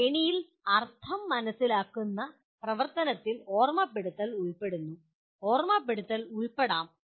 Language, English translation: Malayalam, Hierarchy in the sense understand activity involves remembering, can involve remembering